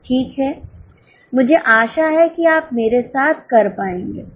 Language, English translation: Hindi, Fine I hope you are able to do with me